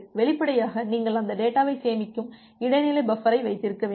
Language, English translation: Tamil, Oobviously, you need to have intermediate buffer which will store that data